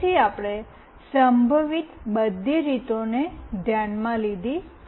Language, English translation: Gujarati, So, all the possible ways we have taken into consideration